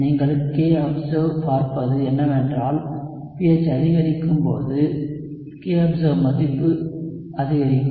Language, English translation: Tamil, What you would see is that as the pH increases, the kobserved value will increase